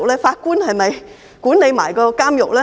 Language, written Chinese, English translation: Cantonese, 法官是否一併管理監獄呢？, Do the judges manage the prisons as well?